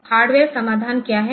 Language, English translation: Hindi, So, what is the hardware solution